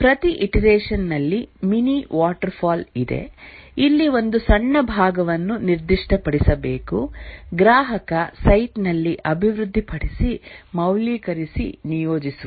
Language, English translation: Kannada, In each iteration is a mini waterfall where need to specify a small part, develop, validate and deploy at the customer site